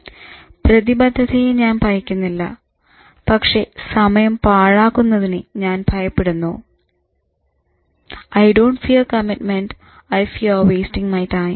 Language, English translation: Malayalam, But in the name of commitment, I actually fear wasting my time